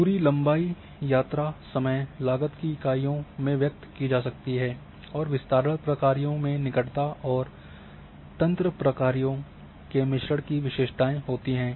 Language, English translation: Hindi, And distance can expressed in units of length, travel, time, cost and the spread functions have characteristics of mix of proximity and network functions